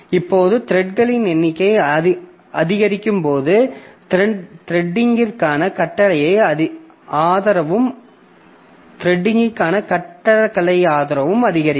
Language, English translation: Tamil, Now, as the number of threads grows, so does the architectural support for threading